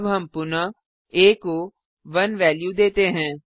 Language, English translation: Hindi, We now again assign the value of 1 to a